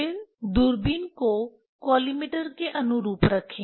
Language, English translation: Hindi, Then put the telescope in line with the collimator